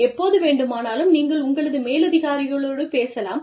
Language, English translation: Tamil, And, you can talk to your superiors, anytime